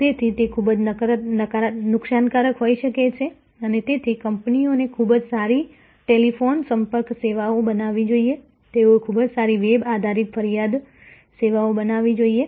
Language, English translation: Gujarati, So, therefore, it can be quite damaging and so the companies must create a very good telephone contact services, they must create a very good web based complaining services